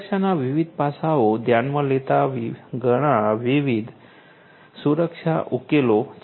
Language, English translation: Gujarati, There are so many different security solutions considering different different aspects of security and so on